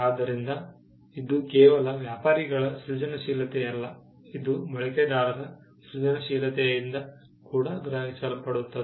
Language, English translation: Kannada, So, it is just not creativity by the trader, but it is also creativity that is perceived by the users